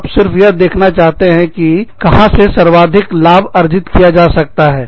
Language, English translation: Hindi, You are only trying to see, where you can derive, the maximum benefit from